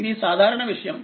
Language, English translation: Telugu, It is a constant